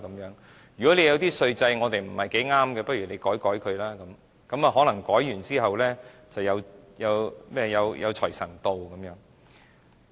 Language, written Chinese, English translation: Cantonese, 如果我們的稅制不太適合他們，不如修改一下，可能修改後，便能賺取巨額稅收。, If our tax regime does not fit those industries we can just modify it a bit in order to earn some lavish tax revenue